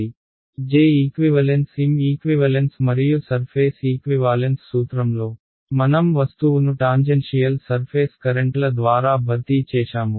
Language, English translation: Telugu, J equivalent M equivalent and in the surface equivalent principle I replaced the object by tangential surface currents ok